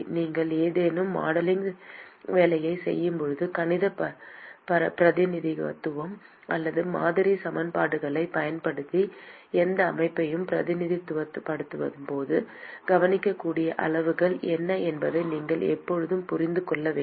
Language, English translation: Tamil, When you are doing any modeling work when you are representing any system using mathematical representation or model equations, you must always understand what are the observable quantities